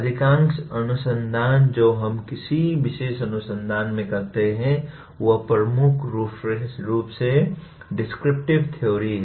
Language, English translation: Hindi, Most of the research that we do in any particular discipline is dominantly descriptive theory